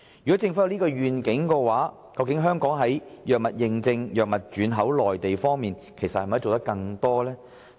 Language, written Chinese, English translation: Cantonese, 若政府有此願景，可否加強本港的藥物認證及藥物轉口至內地的服務？, Should this be the Governments vision will it make the efforts to enhance local services in drug certification and re - export of drugs to the Mainland?